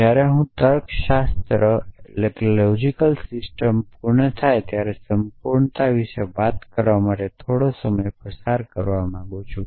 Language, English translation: Gujarati, So, I want to spend a little bit of time talking about completeness when is a logic system complete